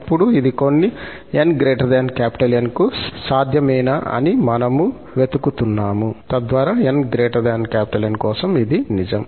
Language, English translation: Telugu, And now, we are looking for whether this is possible for some n greater than N, so that for n greater than N, this is true